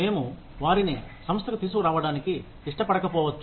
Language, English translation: Telugu, We may not want to bring them to the organization